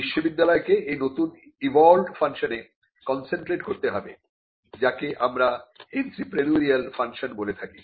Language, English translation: Bengali, So, for the university to concentrate on this newly evolved function, what we call the entrepreneurial function